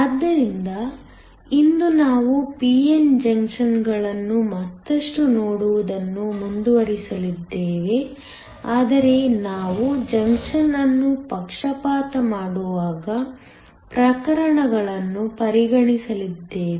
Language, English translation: Kannada, So, today we are going to continue to look further on p n junctions, but we are going to consider cases when we bias the junction